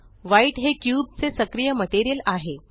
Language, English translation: Marathi, White is the cubes active material